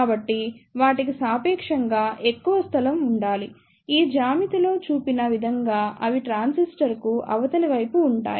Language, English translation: Telugu, So, the they should have relatively more space, they are situated on other side of the transistor as shown in this geometry